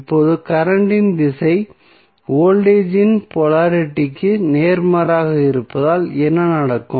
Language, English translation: Tamil, Now, since the direction of current is opposite of the polarity of the voltage so what will happen